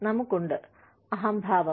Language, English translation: Malayalam, We have, egoism